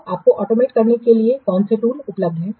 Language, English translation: Hindi, So, what are the tools they are available for automating this